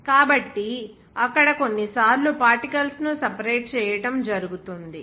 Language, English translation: Telugu, So, there it is sometimes to separate that separate of the particles